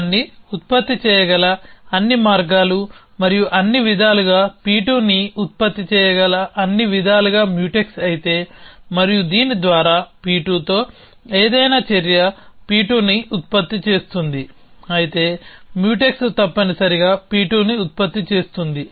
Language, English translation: Telugu, If all ways that P 1 can be produce and all way is Mutex with all ways that P 2 can be produce, and by this mean any action with produces P 2, if Mutex with every other action with produces P 2 essentially